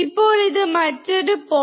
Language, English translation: Malayalam, So, anything below 0